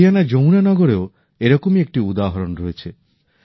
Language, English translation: Bengali, There is a similar example too from Yamuna Nagar, Haryana